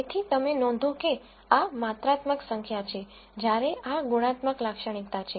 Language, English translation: Gujarati, So, you notice that these are quantitative numbers while these are qualitative features